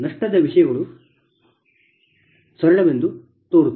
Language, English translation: Kannada, with loss, things are seems to be very simple